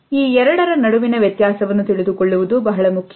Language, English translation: Kannada, It is very important to know the difference between these two